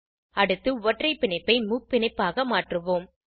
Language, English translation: Tamil, Next lets convert the single bond to a triple bond